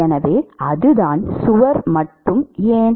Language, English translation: Tamil, So, that is the; why only wall